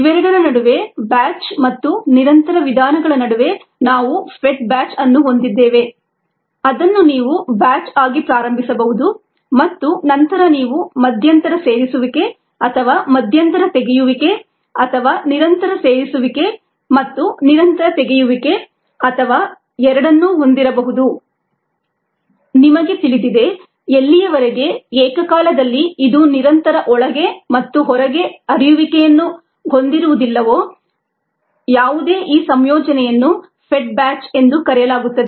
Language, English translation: Kannada, we had the fed batch where you could you start out as a batch and then you could have intermittent feeding or intermittent removal, or even continuous feeding and continuous removal, or both ah you know, as long as it is not both continuous in and continuous out simultaneously, any combination is called